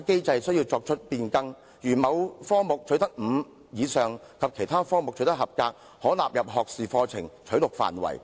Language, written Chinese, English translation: Cantonese, 例如，如果學生在某科目取得第五級或以上，以及其他科目取得合格，便可被納入學士課程取錄範圍。, For instance if a student achieves grade 5 or above in a certain subject as well as passes in other subjects he should be included in the scope of admission to undergraduate programmes